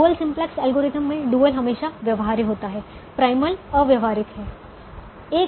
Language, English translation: Hindi, in the dual simplex algorithm the dual is feasible, the primal is infeasible